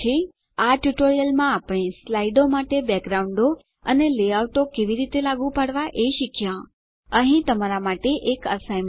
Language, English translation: Gujarati, In this tutorial we learnt how to apply Backgrounds for slides, Layouts for slides Here is an assignment for you